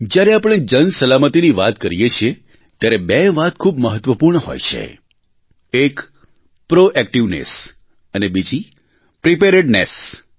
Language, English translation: Gujarati, When we refer to public safety, two aspects are very important proactiveness and preparedness